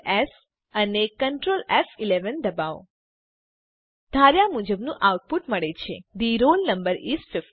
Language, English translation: Gujarati, Press Ctrl,S and Ctrl F11 We get the output as expected The roll number is 50